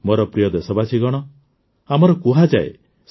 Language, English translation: Odia, My dear countrymen, it is said here